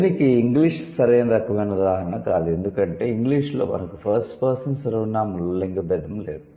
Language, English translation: Telugu, English is not the right kind of example for that because in English we don't have any gender difference in the first person pronoun